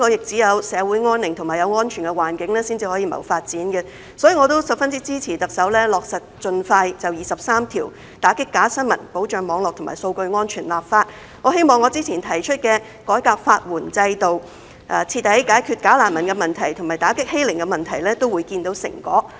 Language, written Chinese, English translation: Cantonese, 只有香港社會安寧和有安全的環境，才可以謀發展，所以我也十分支持特首盡快落實有關第二十三條、打擊假新聞、保障網絡和數據安全的立法，我希望我較早前提出的改革法援制度、徹底解決假難民問題和打擊欺凌問題也會見到成果。, Only with a peaceful society and a safe environment can Hong Kong advance development . Therefore I strongly support the Chief Executive to expeditiously enact legislation to implement Article 23 combat fake news and safeguard cyber and data security . I also hope to see results regarding my earlier suggestions of reforming the legal aid system eradicating the bogus refugee problem and combatting bullying